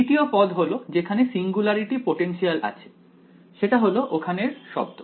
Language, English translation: Bengali, Second term is where there is a potential singularity potential right that is the keyword over here